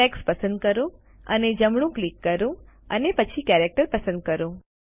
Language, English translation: Gujarati, Select the text and right click then select Character